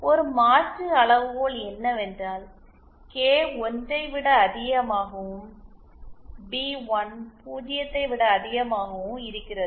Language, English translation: Tamil, An alternate criteria is this that the K greater than 1 and B1 greater than 0